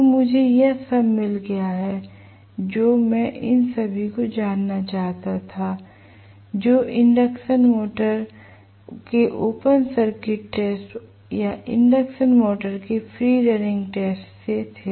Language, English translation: Hindi, So, I have got all that I wanted to know all those from open circuited test of an induction motor or free running test of an induction motor